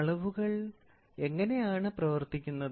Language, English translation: Malayalam, What is the function of measurement